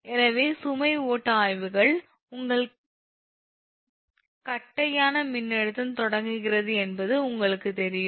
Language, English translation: Tamil, so load flow studies, you know that your flat voltage start